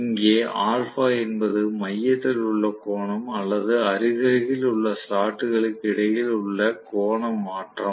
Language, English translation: Tamil, Where alpha is the angle subtended at the centre or the angular shift between the adjacent slots